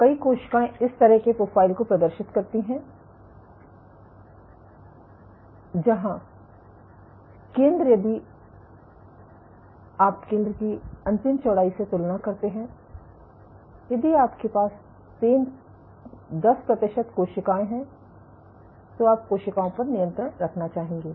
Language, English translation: Hindi, So, many of the cells exhibit a profile like this, where the center if you compare the central width to the end width, You would have compared to control cells if you had 10 percent of cells